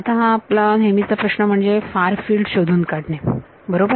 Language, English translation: Marathi, So, now the usual problem is to find out the far field right